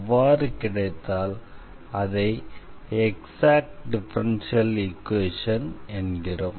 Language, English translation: Tamil, So, what are the exact differential equations